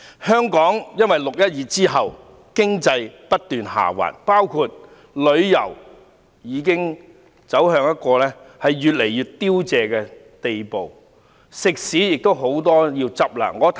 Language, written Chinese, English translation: Cantonese, 香港在"六一二"後，經濟不斷下滑，包括旅遊業之內的很多行業，已越來越凋零，很多食肆將要結業。, After the 12 June incident our economy has continued to decline . Business in many industries including the tourism industry has become scanty and many restaurants will cease operation